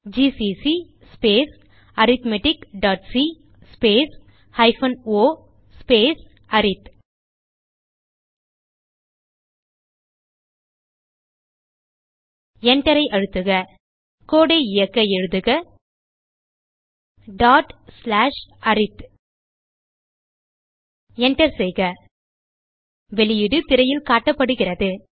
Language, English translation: Tamil, gcc space arithmetic dot c space minus o space arith Press Enter To execute the code, type ./arith press Enter The output is displayed on the screen